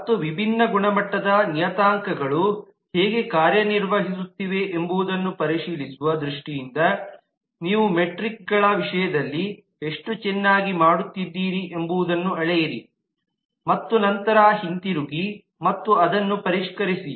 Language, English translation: Kannada, and also measure as to how well you are doing in terms of the metrics in terms of checking out how the different quality parameters are doing and then come back and refine that